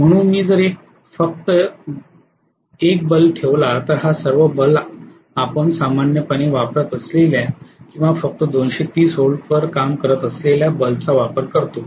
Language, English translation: Marathi, So if I put only 1 bulb this is all you know single phase bulbs whatever bulbs we are using normally or working on single phase that is only 230 volts